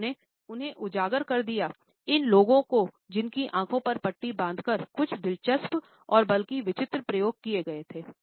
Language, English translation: Hindi, He had expose them, these blindfolded people to some interesting and rather bizarre experimentations